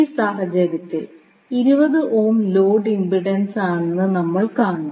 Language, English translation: Malayalam, So, in this case, you will see that the 20 ohm is the load impedance